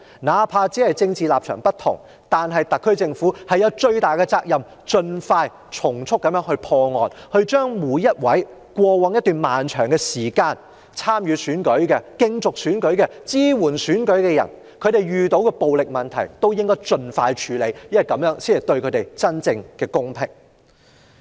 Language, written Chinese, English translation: Cantonese, 哪怕政治立場不同，特區政府亦負有最大的責任從速破案，盡快處理過往一段長時間每個參與和支援選舉的人所遇到的暴力問題，這樣才可給予他們真正的公平。, Despite political differences the SAR Government has the greatest responsibility to expeditiously resolve relevant cases and address violence experienced by candidates and their supporters over a long period to bring them genuine fairness